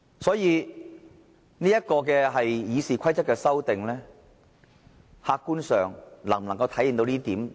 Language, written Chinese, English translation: Cantonese, 所以，這項《議事規則》的修訂，客觀上能否體現到公平呢？, Therefore can such an amendment to RoP objectively demonstrate fairness?